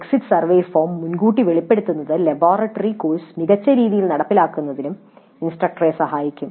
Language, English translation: Malayalam, Exposer to the exit survey form upfront may help the instructor in implementing the laboratory course in a better way